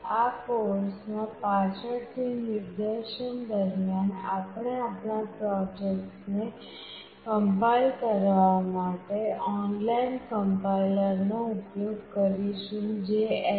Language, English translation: Gujarati, During the demonstration later in this course we will use the online complier that is present in http://developer